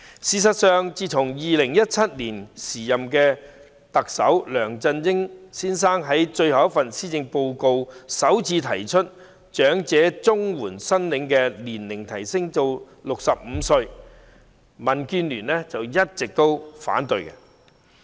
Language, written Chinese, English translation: Cantonese, 事實上，自從2017年時任特首梁振英先生在最後一份施政報告中首次提出把長者綜援的合資格年齡提升至65歲，民建聯便一直反對。, As a matter of fact since the then Chief Executive Mr LEUNG Chun - ying proposed for the first time in his last Policy Address in 2017 raising the eligible age for elderly CSSA to 65 DAB has all along opposed it